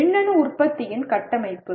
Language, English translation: Tamil, Structuring of an electronic product